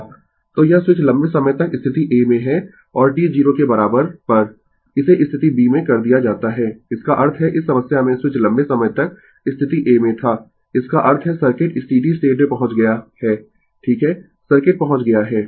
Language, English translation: Hindi, So, this switch has been in the position a for a long time and at t equal to 0, it is thrown to position b; that means, in this problem switch was at position a for long time; that means, circuit has reached steady state right circuit has reached